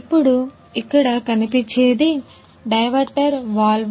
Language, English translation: Telugu, Now, here this is a diverter valve